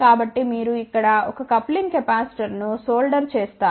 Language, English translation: Telugu, So, simply you solder a coupling capacitor here, you solder a coupling capacitor over here